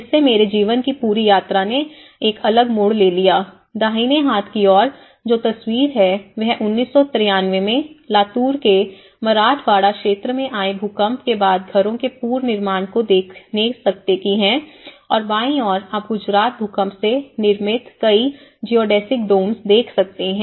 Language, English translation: Hindi, In fact, where my whole journey of my life has taken a different turn, the right hand side photograph which you are seeing, which is the reconstructed houses in the Latur Earthquake recovery in the Marathwada region and 1993 posts 1993 and on the left hand side you can see many of the Geodesic Domes constructed in Gujarat Earthquake recovery